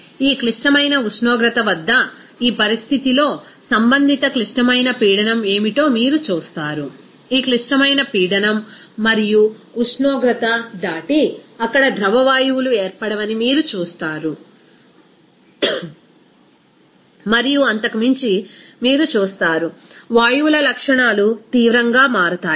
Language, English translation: Telugu, So, at this critical temperature, even what is the corresponding critical pressure at this condition you will see, beyond this critical pressure and temperature, you will see that there will be no formation of liquid gases there and beyond this you will see that there will be properties of the gases will drastically change